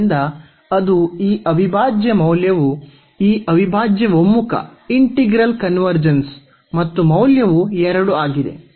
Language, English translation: Kannada, So, that is the value of this integral this integral convergence and the value is 2